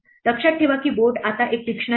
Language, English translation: Marathi, Remember that board is now a dictionary